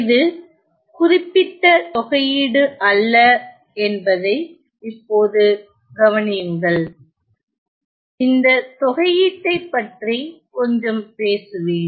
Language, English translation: Tamil, Now notice that this is not this particular integral, let me just talk a little bit about this integral